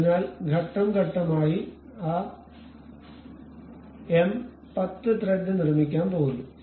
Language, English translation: Malayalam, So, we will go step by step construct that m 10 thread